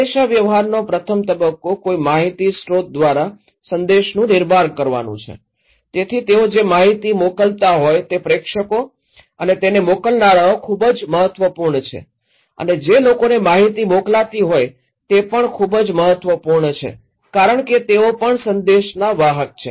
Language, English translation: Gujarati, The first stage of communication is the framing of message by an information source so, the senders they frame the information at first right they collect so, who are senders is very important who are sending the informations to the public is very important because they are also framing the message